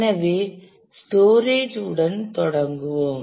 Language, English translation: Tamil, So, we will start with the storage